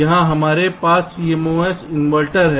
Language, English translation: Hindi, here we have a cmos inverter, here we have another cmos inverter